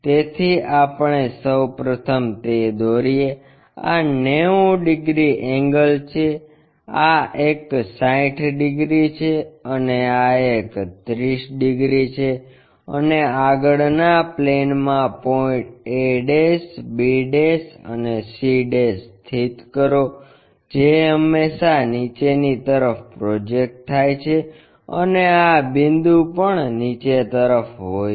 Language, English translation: Gujarati, So, we first construct that one, this is 90 degrees angle, this one 60 degrees and this one 30 degrees and locate the points in the frontal plane a', b' and c' this always have projections downwards and this point also downwards